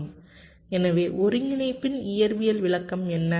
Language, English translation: Tamil, so so what is the physical interpretation of the integral